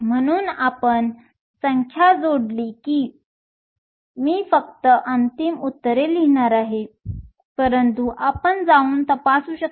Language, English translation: Marathi, So, once we plug in the numbers, I am just going to write the final answers, but you can just go through and check